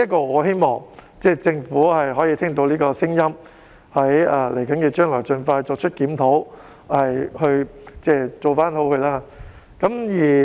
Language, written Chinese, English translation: Cantonese, 我希望政府聽到這個聲音，在未來能夠盡快作出檢討，從而作出改善。, I hope that the Government will listen to such voice and conduct the review in future as soon as practicable with a view to making improvement